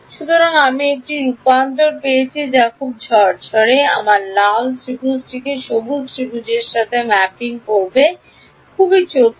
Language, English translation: Bengali, So, I have got a transformation that is very neatly mapping my red triangle to the green triangle right very clever